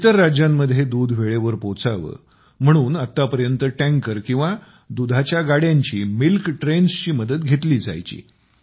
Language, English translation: Marathi, For the timely delivery of milk here to other states, until now the support of tankers or milk trains was availed of